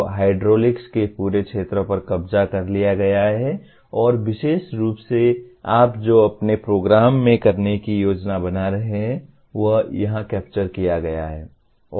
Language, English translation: Hindi, So the entire field of hydraulics is captured and specifically what you are planning to do to your program is captured here